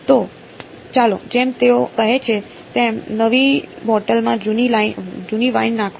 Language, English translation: Gujarati, So, let us as they say put old wine in new bottle alright